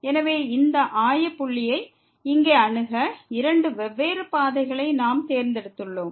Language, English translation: Tamil, So, we have chosen two different paths to approach this origin here